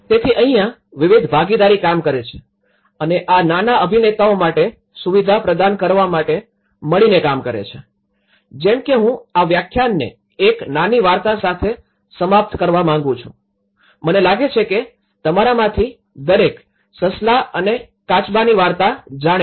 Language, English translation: Gujarati, So, this is where different partnerships work and work actually together to provide facility for these small actors like I would like to conclude this lecture with a small story, I think every one of you know, the hare and tortoise story